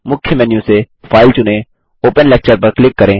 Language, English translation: Hindi, From the Main menu, select File, click Open Lecture